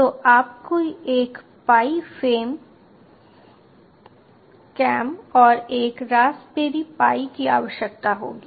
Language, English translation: Hindi, so you will need a pi cam and a raspberry pi